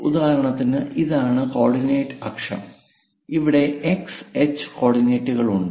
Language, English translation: Malayalam, For example, this is the coordinate axis, somewhere x and h coordinates